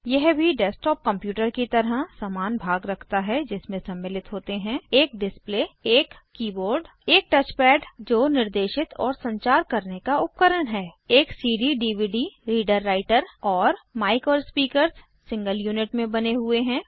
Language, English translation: Hindi, It has most of the same components as a desktop computer including a display, a keyboard, a touchpad, which is the pointing and navigating device a CD/DVD reader writer and mic and speakers built into a single unit